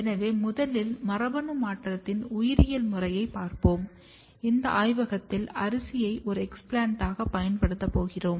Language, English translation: Tamil, So, first we will be going through the biological method of transformation, where in our lab we use rice as an explant